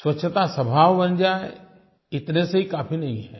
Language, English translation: Hindi, Imbibing cleanliness as a nature is not enough